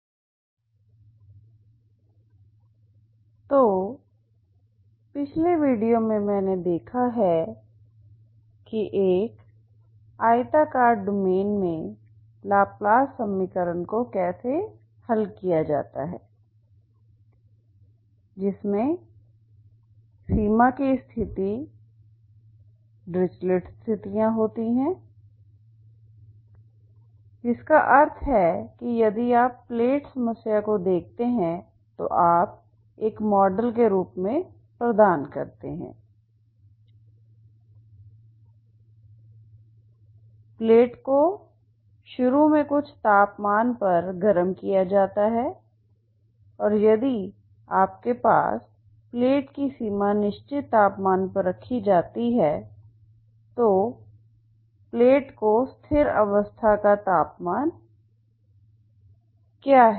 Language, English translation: Hindi, So in the last video I have seen how to solve laplace equation in a rectangular domain with boundary conditions being dirichlet conditions that means you provide as a model if you look at the plate problem so heated plate initially at some temperature and if you have a boundary of the plate is kept at certain temperature so what is steady state temperature in the plate can be calculated by the as a solution of this boundary value problem so that is what we have seen